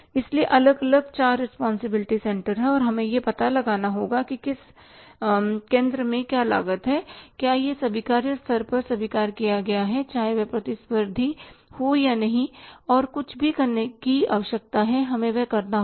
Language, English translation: Hindi, So there are the different four responsibility centers and we will have to find out at which center what cost is there whether it is accept at the acceptable level whether it is competitive or not and anything is if it required to be done we will have to do that